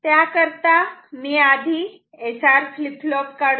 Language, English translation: Marathi, So, let me first draw the SR flip flop